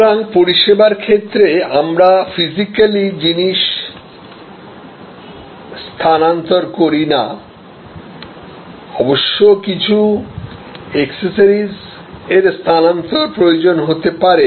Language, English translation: Bengali, So, in service we do not move physical products; obviously, it may need some accessory movement